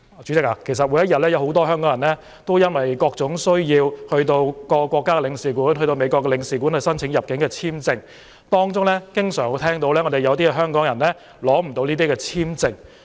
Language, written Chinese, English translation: Cantonese, 代理主席，每天有很多香港人因為各種需要前往各國領事館，例如到美國領事館，申請入境簽證，而我們經常聽到有香港人無法獲取簽證。, Deputy President each day many Hong Kong people go to the consulates of various countries such as the American consulate for various purposes such as apply for entry visas and we often hear that some Hong Kong people cannot get a visa